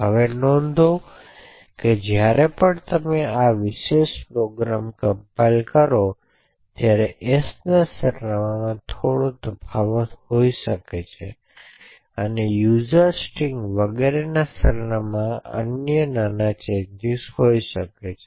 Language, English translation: Gujarati, Now note that every time you compile this particular program there may be slight differences in the address of s and other minor differences in the address of user string and so on